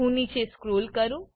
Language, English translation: Gujarati, Let me scroll down